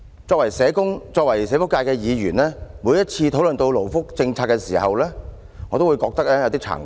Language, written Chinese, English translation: Cantonese, 作為社工、作為社福界的議員，每當討論到勞福政策時，我也會感到有點慚愧。, As a social worker and a Member representing the social welfare sector I feel somewhat ashamed whenever we discuss labour welfare policies